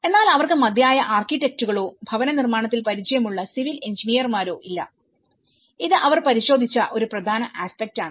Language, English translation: Malayalam, But they do not have enough architects or builders or the civil engineers who has an experience in housing, this is one important aspect which they have looked into it